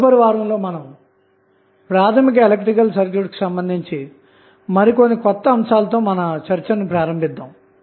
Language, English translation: Telugu, So, in the next week, we will start with some new topic on the course that is our basic electrical circuit